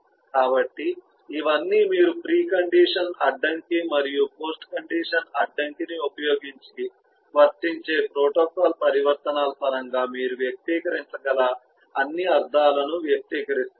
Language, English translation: Telugu, so all these you are expressing, all those semantic you can express in terms of the protocol transitions using the pre condition constrain and the post condition constraint, eh as applicable